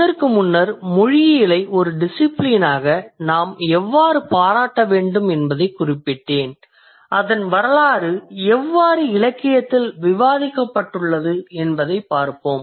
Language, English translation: Tamil, Before this I just mentioned how we should appreciate linguistics as a discipline and now let's see how its history has been discussed in the literature